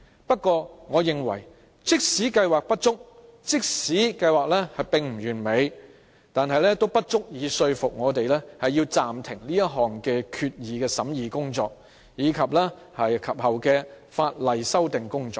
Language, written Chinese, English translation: Cantonese, 不過，我認為即使計劃有不足，即使計劃不完美，但也不足以說服我們暫停這項決議案的審議工作，以及其後的法例修訂工作。, I nonetheless think that despite the imperfection and inadequacies of MEELS I remain not convinced that we should suspend the examination of the proposed resolution and the subsequent legislative amendment